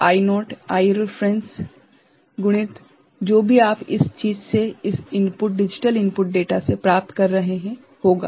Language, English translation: Hindi, So, I naught will be I reference multiplied by whatever you are getting from the this thing this input digital input data